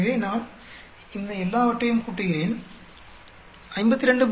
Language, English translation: Tamil, So, I add up all these things, subtract from 52